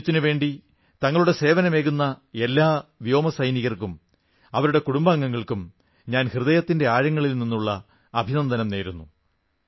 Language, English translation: Malayalam, From the core of my heart, I congratulate those Air Warriors and their families who rendered service to the nation